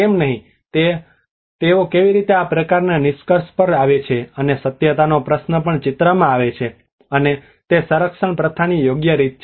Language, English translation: Gujarati, why not a tradition of how they come to that kind of conclusion and the question of authenticity also comes into the picture and is it the right way of conservation practice